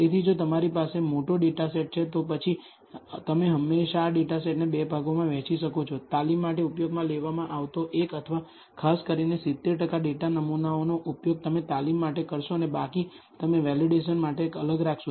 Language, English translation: Gujarati, So, if you have a large data set, then you can always divide this data set into 2 parts; one used for training typically 70 percent of the data samples you will use for training and the remaining, you will set apart for the validation